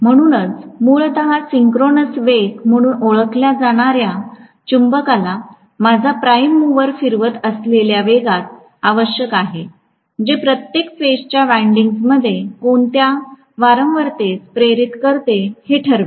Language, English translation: Marathi, So essentially the speed at which my prime mover is rotating the magnet that is basically known as the synchronous speed, which will decide what frequency is induce in each of the phase windings